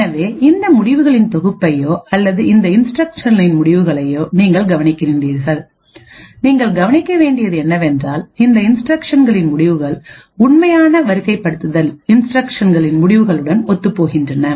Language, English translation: Tamil, So, you look at this set of results or the results of these instructions and what you notice is that the results correspond to the original ordering of these instructions